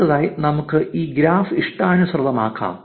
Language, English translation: Malayalam, Now, let us customize this graph to make it look prettier